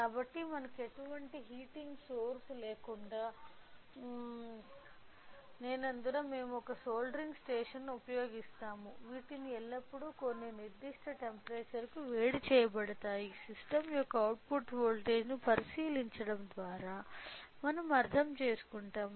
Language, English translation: Telugu, So, since we do not have any heating source we will use a soldering station to which provides which will be keep will be always heated to some particular temperature by we will measure that we will understand by looking into the output voltage of the system at what temperature that heating station is it